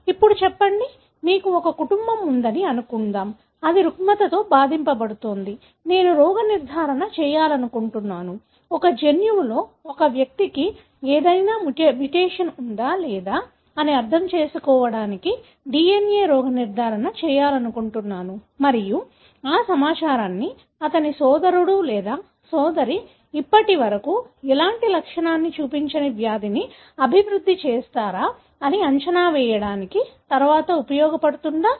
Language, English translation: Telugu, Say, suppose you have a family, which is affected with a disorder; I want to diagnose, do a DNA diagnosis to understand whether an individual is having any mutation in the gene or not and whether that information can be used to predict whether his brother or sister who has not shown any symptom as of now will develop the disease later